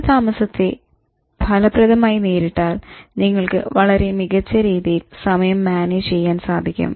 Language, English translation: Malayalam, So if you're able to handle delay, you will be able to manage time almost perfectly